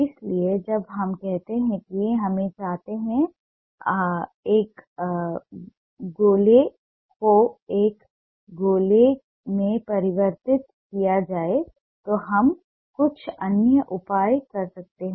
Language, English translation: Hindi, so, ah, when we say that we want a circle to be converted into a sphere, we take some other measures